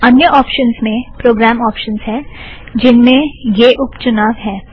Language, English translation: Hindi, There are other options like Program Options which have these sub options